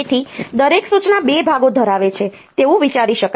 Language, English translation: Gujarati, So, each instruction can be thought of to be consisting of 2 parts